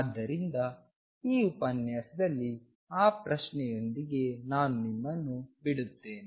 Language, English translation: Kannada, So, I will leave you with that question in this lecture